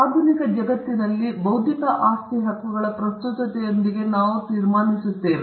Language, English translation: Kannada, And we will conclude with the relevance of intellectual property rights in the modern world